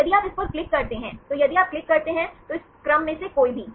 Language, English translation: Hindi, So, if you click on this, any of this sequence if you click